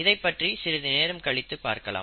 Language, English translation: Tamil, So we will come back to this a little from now